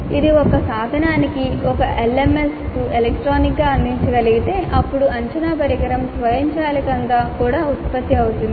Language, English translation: Telugu, If this can be provided electronically to a tool to an LMS then assessment instrument can be generated automatically also